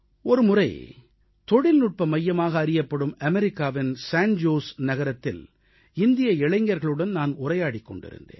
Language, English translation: Tamil, It so happened that once I was interacting with Indian youth in San Jose town of America hailed as a Technology Hub